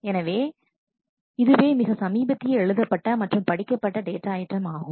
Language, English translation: Tamil, So, this is the latest read write and read times for the data item